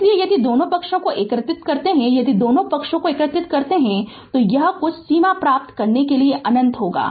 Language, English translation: Hindi, So, if we integrate both side right, if we integrate both side, it will be minus infinity to t some limit you get right